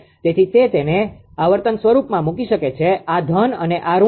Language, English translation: Gujarati, So, it can put it in frequency form this is plus this is minus